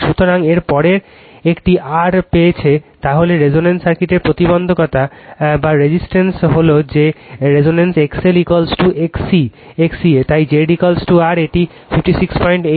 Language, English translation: Bengali, So, next this one R you have got then the impedance of the circuit of the resonance is that that at resonance X L is equal to X C, so Z is equal to R it is 56